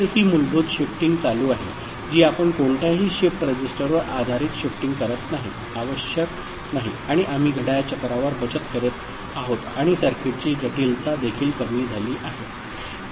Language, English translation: Marathi, So, that is the inherent shifting that is happening we are not doing any shift register based shifting is not required and we are saving on clock cycles and also the complexity of the circuit is reduced